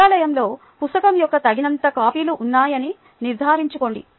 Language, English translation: Telugu, make sure that there are enough copies of the book in the library